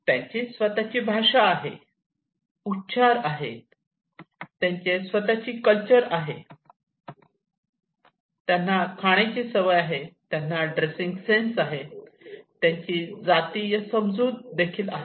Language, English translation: Marathi, So they have their own language, they have their own dialect, they have their own culture, they have food habits, they have their dressing senses, they have their communal understanding